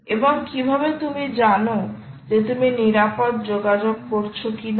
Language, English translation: Bengali, and how do you know whether you are doing secure communication